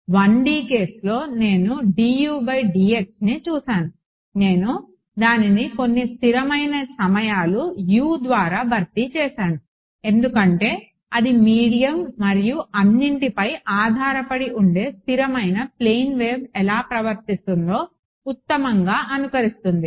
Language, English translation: Telugu, In the 1D case I saw d u by d x, I replaced it by some constant times u because that best simulated how a plane wave behaves those constant depended on the medium and all of that